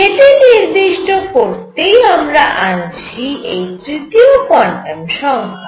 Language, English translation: Bengali, More importantly what we have are now 3 quantum numbers